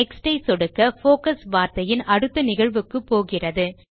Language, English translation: Tamil, Clicking on Next will move the focus to the next instance of the word